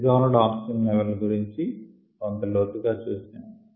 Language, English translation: Telugu, we looked at the dissolved oxygen aspect